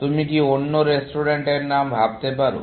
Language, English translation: Bengali, Can you think of another restaurant name